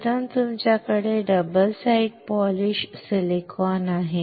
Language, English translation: Marathi, First is you have a double side polished silicon